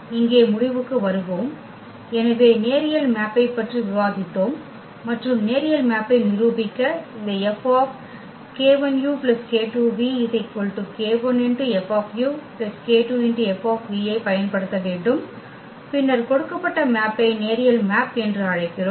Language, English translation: Tamil, Coming to the conclusion here; so, we have discussed the linear map and to prove the linear map we just need to apply this F on this k 1 u plus k 2 v and if we get the k 1 F u plus k 2 F v then we call that the given map is the linear map